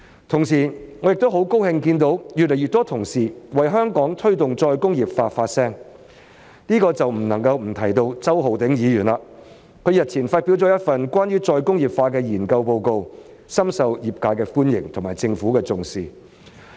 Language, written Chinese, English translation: Cantonese, 同時，我亦很高興看到有越來越多同事為香港推動再工業化發聲，這便不能不提到周浩鼎議員，他日前發表了一份關於再工業化的研究報告，深受業界的歡迎及政府的重視。, In the meantime I am also very happy to see that more and more fellow colleagues are willing to voice their opinions on promoting re - industrialization in Hong Kong and in this connection I cannot fail to mention Mr Holden CHOW because he has recently published a research report on re - industrialization which has been very well received by the sector and taken seriously by the Government